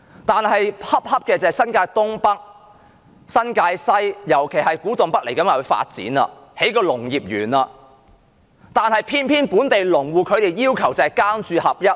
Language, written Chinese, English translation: Cantonese, 但新界東北、新界西，尤其是古洞北未來要發展，將興建農業園，可偏偏本地農戶要求"耕住合一"。, But agriculture parks will be built in the forthcoming development of North East New Territories New Territories West and especially Kwu Tung North . This runs contrary to local farmers demand for dwelling in the farm